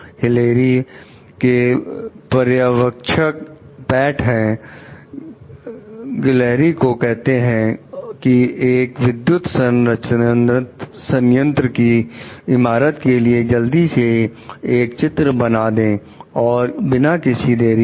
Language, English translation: Hindi, Hilary s supervisor, Pat, tells Hilary to quickly draw up a building permit for a power plant and to avoid any delays